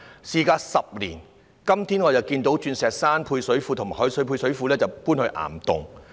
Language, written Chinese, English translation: Cantonese, 事隔10年，今天我才看到鑽石山食水及海水配水庫搬往岩洞。, Only today after a lapse of 10 years do I see that the Diamond Hill Fresh Water and Salt Water Service Reservoirs will be relocated to caverns